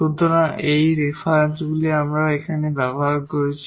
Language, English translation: Bengali, So, these are the references we have used here and